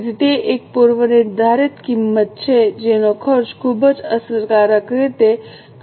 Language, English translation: Gujarati, So, it is a predetermined cost which will be incurred provided the operations are made very efficiently